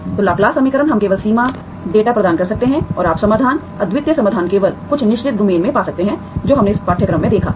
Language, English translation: Hindi, So Laplace equation we can only provide the boundary data and you could find, you can find the solutions, unique solutions only in certain domain that we have seen in this course, okay